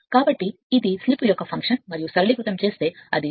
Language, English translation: Telugu, So, it is a function of slip only and if you simplify it will be 2